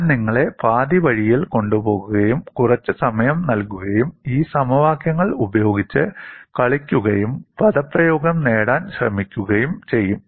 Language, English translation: Malayalam, I would take you half a way, give you some time, and play with these equations, and try to get the expression